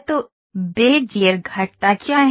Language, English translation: Hindi, So, what is Bezier curves